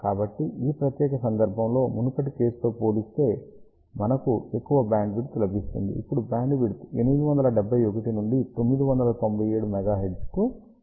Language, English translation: Telugu, So, in this particular case, we get a larger bandwidth compared to the previous case, now the bandwidth is increased from 871 to 997 megahertz